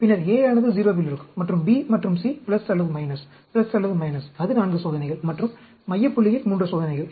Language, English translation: Tamil, Then, A will be in 0, and B and C plus or minus, plus or minus; that will be 4 experiments, and 3 experiments at the central point